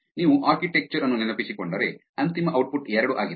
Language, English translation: Kannada, If you remember the architecture that final output is two